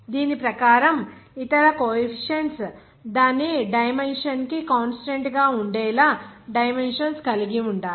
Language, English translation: Telugu, Accordingly, the other coefficients should have the dimensions to make it a constant for its dimension